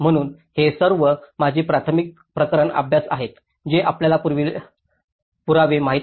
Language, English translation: Marathi, So, these are all some of my primary case study you know evidences